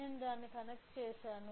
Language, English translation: Telugu, So, just I connected it